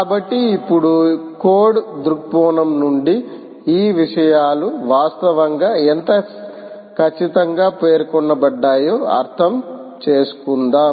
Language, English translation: Telugu, so now lets move on to understand from a from code perspective, how exactly these things actually are